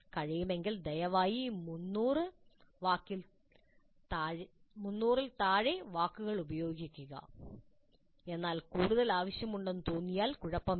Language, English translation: Malayalam, If possible please use less than 300 words but if you really feel that you need more, fine